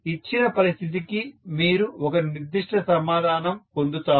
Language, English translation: Telugu, For a given situation you will get one particular answer